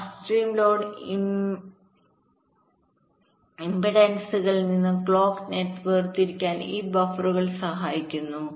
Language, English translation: Malayalam, right, and this buffers help in isolating the clock net from upstream load impedances